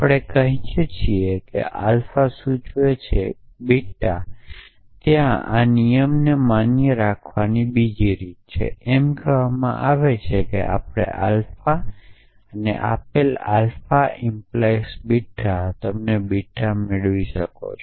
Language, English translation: Gujarati, We say alpha implies beta there is another way of righting this rule it is say that given alpha and given alpha beta you can derive beta